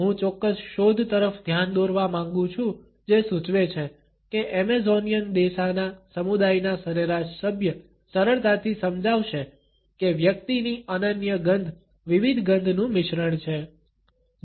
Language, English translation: Gujarati, I would like to point out particular finding which suggests that the average member of the Amazonian Desana community will readily explain that an individual's unique odor is a combination of different smells